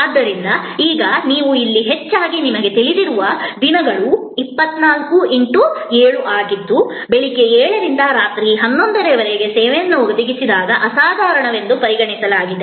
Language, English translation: Kannada, So, now, a days you know you here this more often as 24 7 there was a time when service when provided from 7 AM to 11 PM was consider exceptional